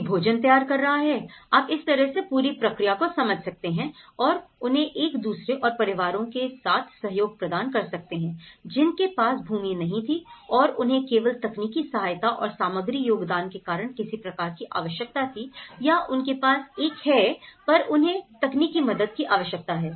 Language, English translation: Hindi, Someone preparing the food, you know in that way, the whole process has been understood and they cooperated with each other and families, who did not have any access to land and they required some kind of only technical assistance and material contributions because may that they have a land and also they don’t have an access and also required technical assistance